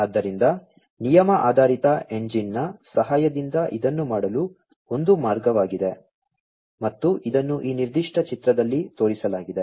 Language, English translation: Kannada, So, one of the ways to do it is with the help of a rule based engine and this is shown over here in this particular figure